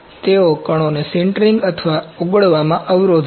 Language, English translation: Gujarati, They hinder the particles sintering or melt amalgamation